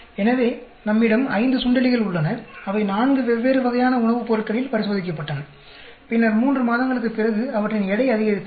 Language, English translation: Tamil, So, we have five mice, they were tested on four different types of dietary food, and then after three months their weight gained was measured